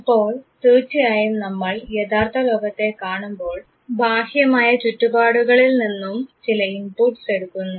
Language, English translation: Malayalam, So, actually when you look at the real world we take certain inputs from the external environment